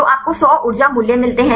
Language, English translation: Hindi, So, you get 100 energy values